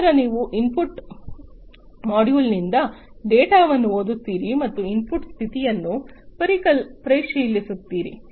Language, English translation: Kannada, Then you have reading the data from the input module, the input module and checking the input status